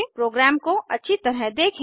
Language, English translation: Hindi, Let us go through the program